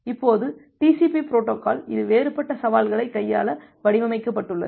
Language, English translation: Tamil, Now TCP is a protocol which is designed to handle all this different challenges